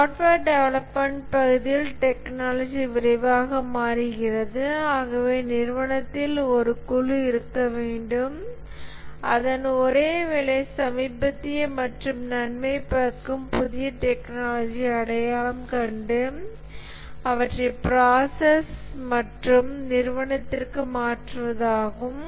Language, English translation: Tamil, In the area of software development, the technology changes rapidly and therefore there must be a group in the organization whose sole work is to identify latest and beneficial new technologies and transfer these into the process and organization wide